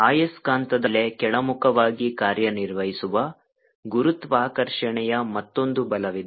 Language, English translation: Kannada, there is another force, which is gravitational pull, acting down words on the magnet